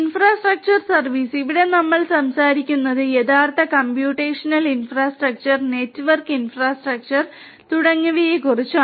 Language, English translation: Malayalam, Infrastructure as a service, here we are talking about the actual computational infrastructure, the network infrastructure and so on